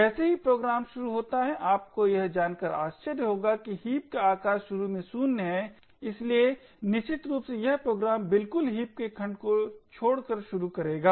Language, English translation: Hindi, As soon as the program starts it would be surprisingly for you to know that the size of the heap is initially 0, so essentially the program would start with absolutely no heap segment